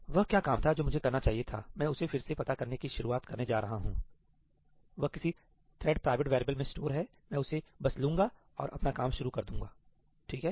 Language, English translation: Hindi, What was the work I was supposed to do I am not going to start figuring that out again, thatís stored in some thread private variable, I will just take it up and continue my work